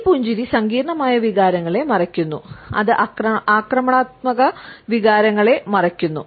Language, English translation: Malayalam, This smile hides complex emotions, it hides emotions of aggression